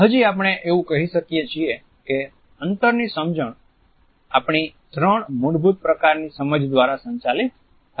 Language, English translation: Gujarati, Still roughly we can say that the understanding of space is governed by our understanding of three basic types